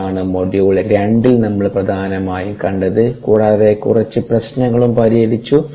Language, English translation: Malayalam, ok, that is what we essentially saw in ah module two, and we also worked out a couple of problems